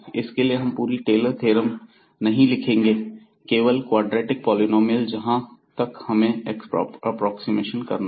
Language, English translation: Hindi, So, we are not writing here the whole Taylor’s theorem, but only the quadratic polynomial term we want to approximate that